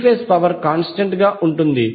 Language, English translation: Telugu, The three phased power will remain constant